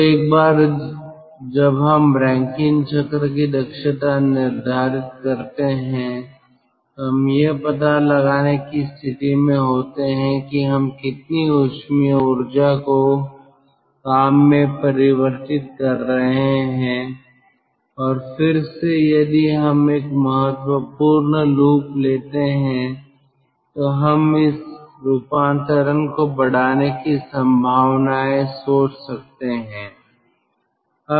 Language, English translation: Hindi, so then, once we define, once we determine the efficiency of the ah rankine cycle, so we are in a position to find out how much thermal energy we are converting into work, and then ah also, ah again, if we take a critical loop, then we can think of whether or what are the possibilities of increasing this conversion with this